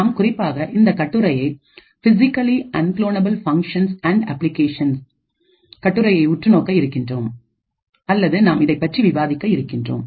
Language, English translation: Tamil, Essentially, we will be actually looking at this paper or we will be discussing this paper called Physically Unclonable Functions and Applications tutorial, So, you can download this tutorial from this IEEE website